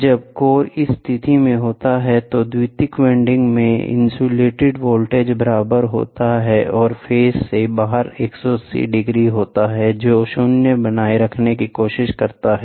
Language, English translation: Hindi, When the core is in this position, the induced voltage in the secondary winding are equal and 180 degrees out of phase which tries to maintain zero